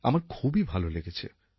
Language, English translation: Bengali, I felt very nice